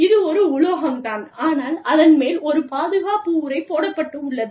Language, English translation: Tamil, It is metallic, but it got a protective covering on it